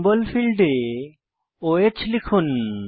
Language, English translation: Bengali, In the Symbol field type O H